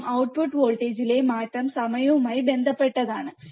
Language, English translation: Malayalam, And the change in output voltage is with respect to time